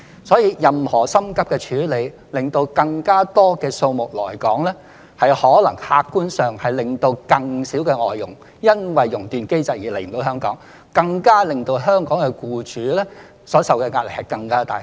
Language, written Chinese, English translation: Cantonese, 所以，急於希望讓更多外傭來港，可能客觀上反而會因為更多地觸發"熔斷機制"而令更多外傭無法來港，從而加重香港僱主所承受的壓力。, Therefore any move because of impatience to allow more FDHs to come to Hong Kong may have the objective result of fewer FDHs coming to Hong Kong due to the more frequent triggering of the flight suspension mechanism hence putting more pressure on Hong Kong employers